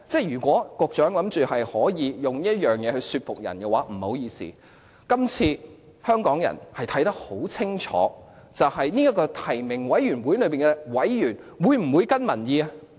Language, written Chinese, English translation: Cantonese, 如果局長想以此說服人的話，不好意思，今次香港人看得很清楚，究竟這個提名委員會內的委員會否跟隨民意？, I am sorry to tell the Secretary that his argument is far from convincing . Hong Kong people can see a clear picture this time . Would NC members follow public opinions?